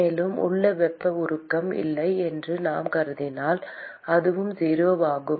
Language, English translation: Tamil, And if we assume that there is no heat generation inside, that is also 0